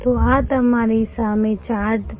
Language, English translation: Gujarati, So, this is the chart in front of you